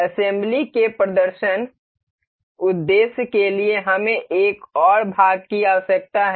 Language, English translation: Hindi, For the demonstration purpose of assembly we need another part